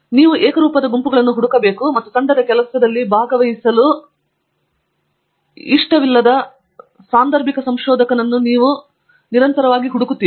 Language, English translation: Kannada, You will invariably find groups and you will invariably find the occasional researcher who does not like to participate in Teamwork